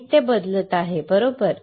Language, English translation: Marathi, Changing the material, right